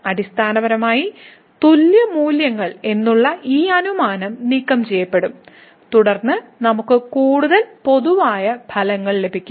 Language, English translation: Malayalam, And, basically this assumption of having the equal values will be removed and then we will get more general results